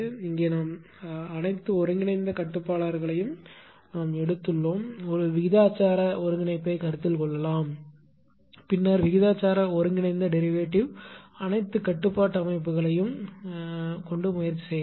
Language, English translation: Tamil, Here we have taken all the integral controller, a professional integral can be considered, then proportional integral integral derivative can be considered all set of controllers can be tried